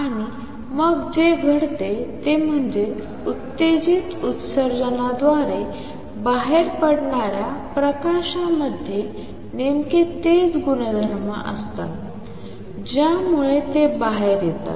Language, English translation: Marathi, And what happens then is the light which comes out through stimulated emission has exactly the same properties that makes it come out